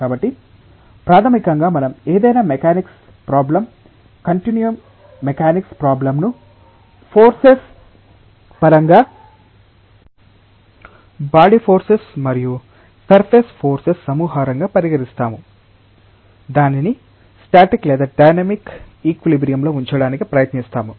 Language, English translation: Telugu, So, fundamentally we will treat any mechanics problem continuum mechanics problem in terms of the forces as a collection of body forces and surface forces, which we will try to keep it in either static or dynamic equilibrium